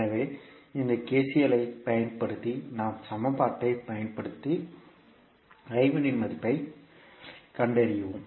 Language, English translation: Tamil, So using that KCL theorem we will the particular law we can utilize the equation and find out the values of I 1